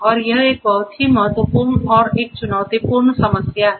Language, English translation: Hindi, And this is a very important and a challenging problem